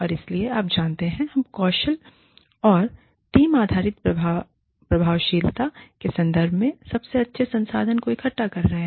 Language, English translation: Hindi, And so, you know, we are taking the best pool of resources, in terms of skills, and team based effectiveness, has to come in